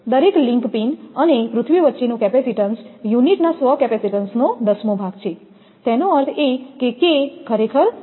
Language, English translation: Gujarati, The capacitance between each link pin and earth is one tenth of the self capacitance of unit; that means, K is equal to actually 0